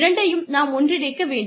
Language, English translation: Tamil, We should inter twine the two